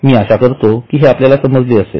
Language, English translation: Marathi, I hope you have understood it